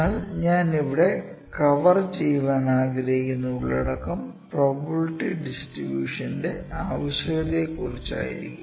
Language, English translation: Malayalam, But the contents I like to cover here would be the need of probability distribution or we also called them probability density functions